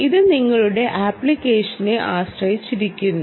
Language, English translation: Malayalam, depends on your application, right